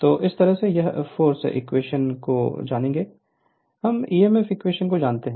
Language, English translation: Hindi, So, this way will we know the force equation, we know the emf equation right everything we know